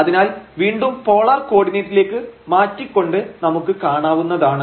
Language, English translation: Malayalam, So, we can change this to polar coordinate that is easier